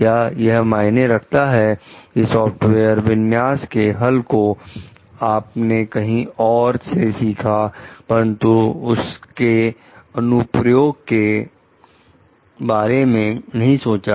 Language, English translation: Hindi, Does it matter if part of the configuration software configuration solution is something you learned about elsewhere, but had not thought about in this application